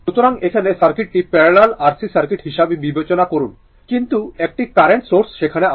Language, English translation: Bengali, So now, consider that your the circuit that is your parallel RC circuit, but a current source is there